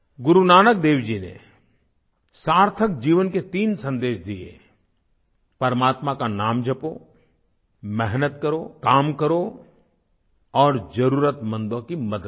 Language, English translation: Hindi, Guru Nanak Dev ji voiced three messages for a meaningful, fulfilling life Chant the name of the Almighty, work hard and help the needy